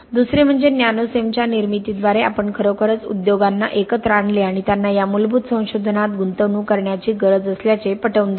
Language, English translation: Marathi, Secondly by the creation of Nanocem we really brought together the industry and convinced them that they need to invest in this fundamental research